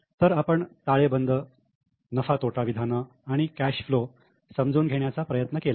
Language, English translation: Marathi, So, we have tried to understand the balance sheet, P&L and Cash flow